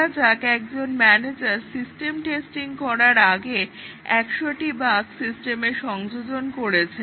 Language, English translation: Bengali, Assume that, a manager, before system testing, introduced 100 bugs into the code, unknown to the testers and developers